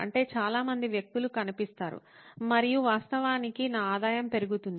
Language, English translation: Telugu, That means there are lots of people would show up and actually my revenue would go up